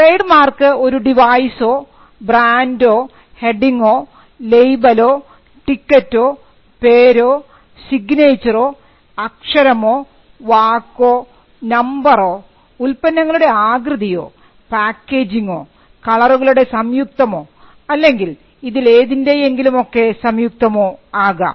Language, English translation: Malayalam, The act defines a mark as a device, brand, heading, label, ticket, name, signature, word, letter, numeral, shape of goods, packaging or combination of colours or any combination thereof